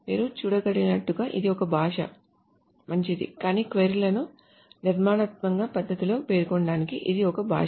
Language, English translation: Telugu, As you can see, it's a language, fine, but it's a language to specify queries in a structured manner